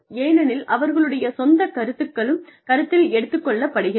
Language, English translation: Tamil, Because, their perception, their own opinions, have been taken into account